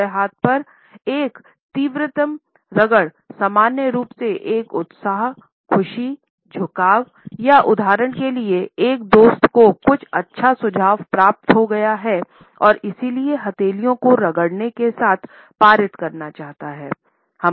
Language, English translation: Hindi, On the other hand a quick rub normally indicates an enthusiasm, a pleasure a happy tilting, for example, a friend might have received some good tilting and therefore, would like to pass it on with rubbing palms together